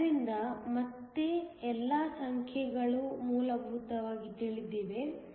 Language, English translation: Kannada, So, again all the numbers are essentially known